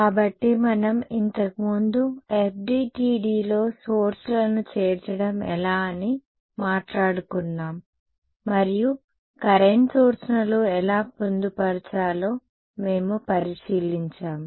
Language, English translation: Telugu, So we were previously talking about the kind how to incorporate sources into FDTD and what we looked at how was how to incorporate current sources